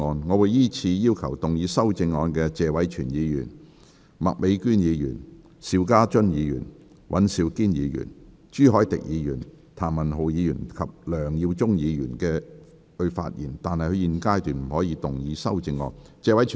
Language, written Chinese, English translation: Cantonese, 我會依次請要動議修正案的謝偉銓議員、麥美娟議員、邵家臻議員、尹兆堅議員、朱凱廸議員、譚文豪議員及梁耀忠議員發言，但他們在現階段不可動議修正案。, I will call upon Members who will move the amendments to speak in the following order Mr Tony TSE Ms Alice MAK Mr SHIU Ka - chun Mr Andrew WAN Mr CHU Hoi - dick Mr Jeremy TAM and Mr LEUNG Yiu - chung but they may not move the amendments at this stage